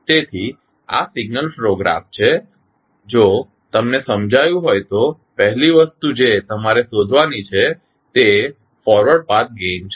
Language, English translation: Gujarati, So, this is the signal flow graph if you get the first thing which you have to find out is forward path gain